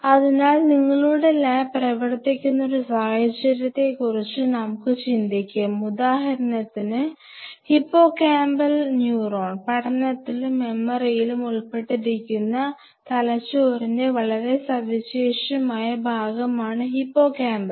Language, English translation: Malayalam, So, let us think of a situation your lab works on say hippocampal neuron, hippocampus is a very specialized part of the brain which is involved in learning and memory